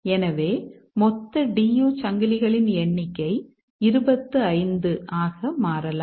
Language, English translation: Tamil, So, the total number of D U chains can become 25